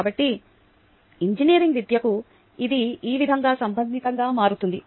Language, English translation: Telugu, so this is how it becomes relevant to engineering education